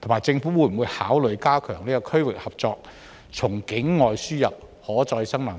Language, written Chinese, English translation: Cantonese, 政府會否考慮加強區域合作，從境外輸入可再生能源？, Will the Government consider stepping up regional cooperation and importing renewable energy from places outside Hong Kong?